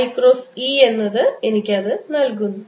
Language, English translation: Malayalam, i cross e gives me that